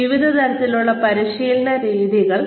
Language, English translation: Malayalam, So, various types of training methods